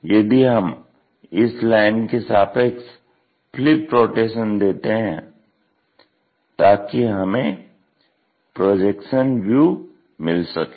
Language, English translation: Hindi, So, if we are taking any flip rotation about this thing we can rotate about this so that the projected view we will take it